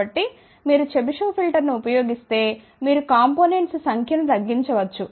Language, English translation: Telugu, So, you can see that if you use chebyshev filter, you can reduce the number of components